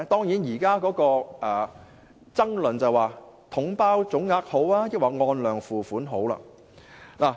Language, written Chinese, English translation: Cantonese, 現時的爭論是，究竟"統包總額"較好，抑或"按量付款"較好？, The current debate is on the question of whether the package deal lump sum approach or the quantity - based charging approach is better